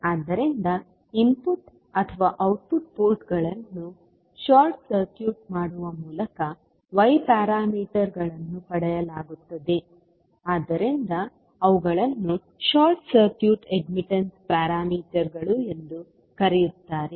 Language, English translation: Kannada, So, since the y parameters are obtained by short circuiting the input or output ports that is why they are also called as the short circuit admittance parameters